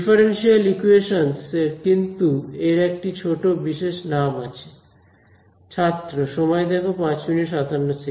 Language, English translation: Bengali, Differential equations, but a little bit small special name for it